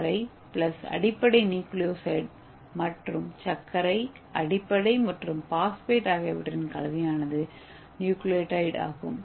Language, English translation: Tamil, so the sugar plus base is nucleoside and the combination of sugar base and phosphate is nucleotide